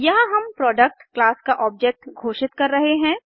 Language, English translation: Hindi, Here we are declaring an object of the Product class